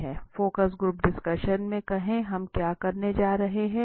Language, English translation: Hindi, Let us say in the focus group discussion, what are we going to conduct